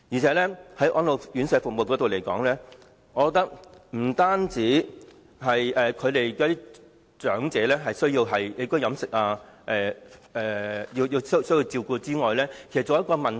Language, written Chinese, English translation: Cantonese, 此外，在安老院舍服務方面，我覺得除了長者的起居飲食需要得到照顧外，其實還需考慮一個問題。, Moreover as regards the services of RCHEs I think there is one more aspect to consider besides care provided to the living and dietary needs of elderly persons